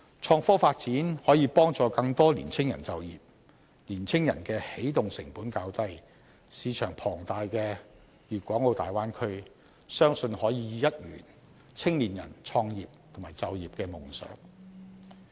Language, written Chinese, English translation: Cantonese, 創科發展可以幫助更多青年人就業，他們的起動成本較低，市場龐大的大灣區，相信可以一圓青年人創業和就業的夢想。, Development in innovation and technology can create jobs for more young people who have lower start - up costs . I believe the huge market of the Bay Area will help young people realize their dreams of getting a job and starting a business